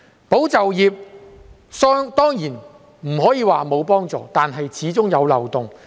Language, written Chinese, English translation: Cantonese, "保就業"計劃當然不可以說沒有幫助，但政策始終有漏洞。, Of course it is undeniable that the Employment Support Scheme does offer some relief but there is also a loophole in the policy